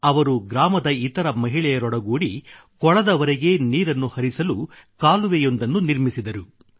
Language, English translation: Kannada, She mobilized other women of the village itself and built a canal to bring water to the lake